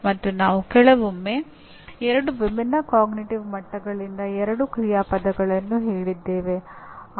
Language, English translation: Kannada, And we said occasionally by two action verbs from two different cognitive levels